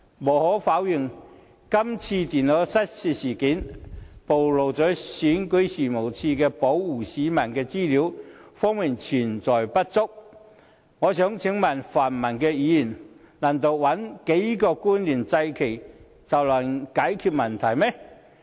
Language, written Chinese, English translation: Cantonese, 無可否認，這次電腦失竊事件暴露了選舉事務處在保護市民的資料方面存在不足，但我想請問泛民議員，難道找幾個官員來"祭旗"便能解決問題嗎？, No one can deny that the loss of these notebook computers has exposed REOs shortcomings in protecting the peoples personal data yet I want to ask pan - democratic Members whether we can solve the problem simply by pointing the finger at a few officials?